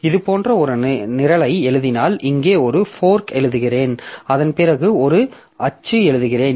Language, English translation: Tamil, So, if I write a program like this, say I write a fork here and after that I write a print hello